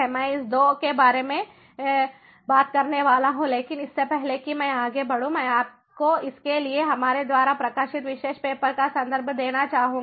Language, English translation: Hindi, i am going to talk about these two, but before i proceed further, i would like to ah give you the reference for it, this particular paper, while published by us